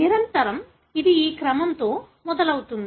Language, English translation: Telugu, Invariably, it starts at this sequence